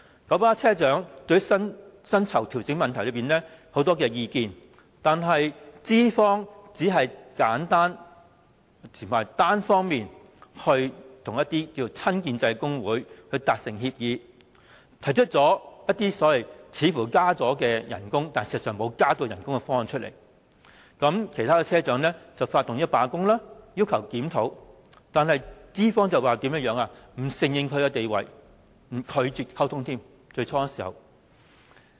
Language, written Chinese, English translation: Cantonese, 九巴車長對薪酬調整有很多意見，但資方只是簡單和單方面與親建制工會達成協議，提出一些似乎是加薪，但實際上沒有加薪的方案，其他車長因而發動罷工，要求檢討，但資方並不承認他們的地位，最初更拒絕溝通。, Drivers of KMB have many views about the pay adjustments yet the employer has only reached a brief agreement with trade unions from the pro - establishment camp unilaterally . The proposal for a pay adjustment does not bring about any increase in wage in actuality even though it is seemingly a pay rise proposal . For these reasons other drivers went on a strike to demand a review of the proposal yet the employer did not recognize their status and refuse to communicate with them in the beginning